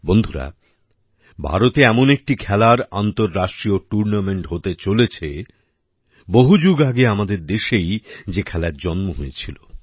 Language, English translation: Bengali, Friends, there is going to be an international tournament of a game which was born centuries ago in our own country…in India